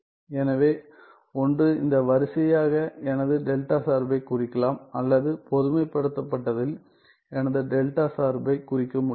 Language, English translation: Tamil, So, either I can represent my delta function as this sequence or I can represent my delta function in the generalized sense that is in terms of that integral representation ok